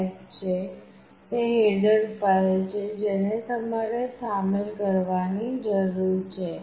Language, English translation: Gujarati, h this is the header file that you need to include